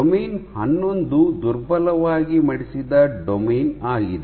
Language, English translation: Kannada, And domain 11 is a weakly folded domain